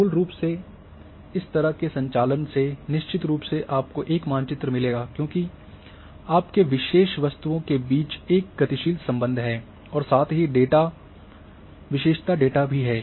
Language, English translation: Hindi, Basically this operations will, of course you will get a map because there is a dynamic linkage, hot linkage between your special objects as well has attribute data